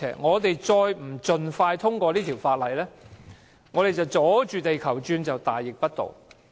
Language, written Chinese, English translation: Cantonese, 若不盡快通過《條例草案》，我們"阻住地球轉"就是大逆不道。, If we do not expeditiously pass the Bill we are throwing a spanner in the works which is treacherous